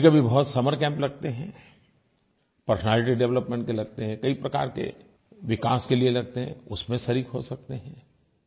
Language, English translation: Hindi, Sometimes there are summer camps, for development of different facets of your personality